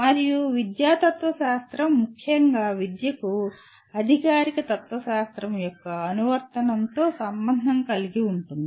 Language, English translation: Telugu, And educational philosophy particularly which is a subject by itself involves with the application of formal philosophy to education